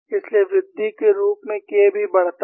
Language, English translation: Hindi, So, as a increases K also increases